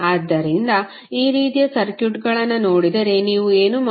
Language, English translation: Kannada, So, if you see these kind of circuits what you will do